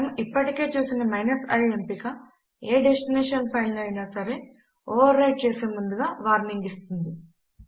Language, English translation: Telugu, The i option that we have already seen warns us before overwriting any destination file